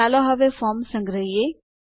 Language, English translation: Gujarati, Let us now save the form